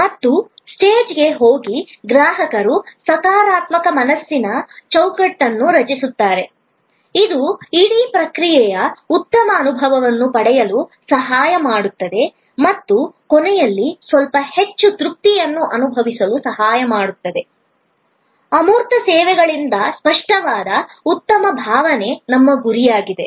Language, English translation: Kannada, And go to a swage, the customer create a positive frame of mind, which help getting a better feel of the whole process and at the end feel in a little bit more satisfied, that tangible good feeling which is our aim to generate out of intangible services